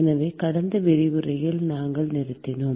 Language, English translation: Tamil, So, that is where we stopped in the last lecture